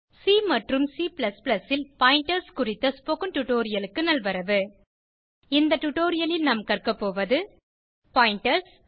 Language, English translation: Tamil, Welcome to the spoken tutorial on Pointers in C and C++ In this tutorial we will learn, Pointers